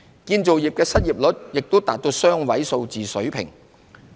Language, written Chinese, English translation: Cantonese, 建造業的失業率亦達雙位數水平。, The unemployment rate of the construction sector also reached a double - digit level